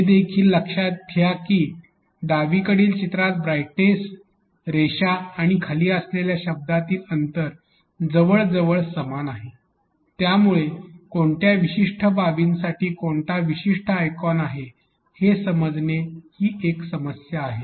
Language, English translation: Marathi, Also note that in the picture on the left the distance between the words brightness and the line or the line and the word below is almost same which is creating a problem about which particular icon is for which particular aspect